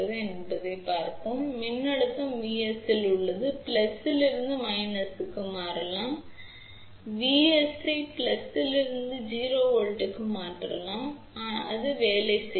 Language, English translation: Tamil, So, let us look at here there is a voltage V s, which can switch from plus V 2 minus V, but as I mentioned earlier you can switch V s from plus V to 0 volt, it will still work